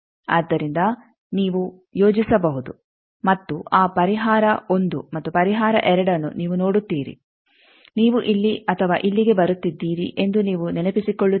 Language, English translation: Kannada, So, you can plot and you see that solution 1 and solution 2, you remember that either you are coming here or here